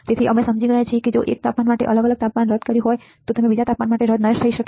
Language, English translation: Gujarati, So, we had understand that a different temperature if you have nulled for 1 temperature it may not be nulled for another temperature ok